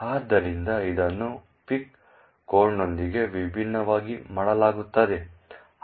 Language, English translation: Kannada, So, this is done very differently with a pic code